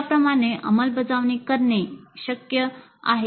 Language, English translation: Marathi, It is possible to implement like that